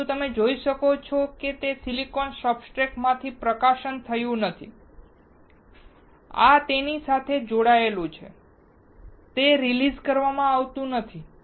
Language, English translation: Gujarati, But what you can see it has not been released from the silicon substrate this is attached to it, it is not released